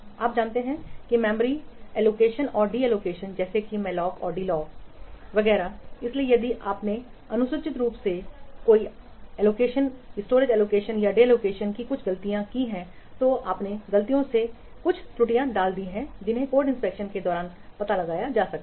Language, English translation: Hindi, So if you have improperly done the storage allocation and deallocation like amaloc and dealloc etc so if you have improperly done the storage allocation and deallocation or some mistakes you have put some errors by mistake you have put that also can be detected during code inspection